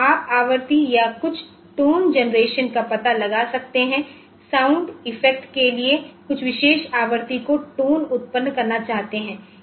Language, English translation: Hindi, So, you can find out frequency or tone generation for sound effects at some particular frequency you want to generate some tones ok